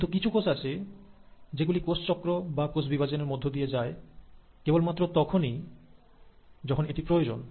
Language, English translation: Bengali, But then, there are certain cells which undergo cell cycle or cell division only if there’s a demand